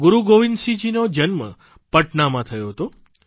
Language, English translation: Gujarati, Guru Gobind Singh Ji was born in Patna